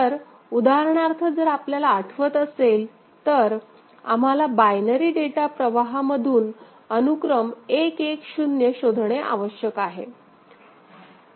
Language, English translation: Marathi, So, the example if you remember, we have to detect sequence 110 from a binary data stream